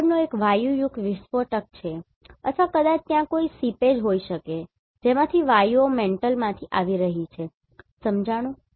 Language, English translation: Gujarati, The next one is gaseous explosion or maybe there may be a seepage from which the gases are coming from the mantle right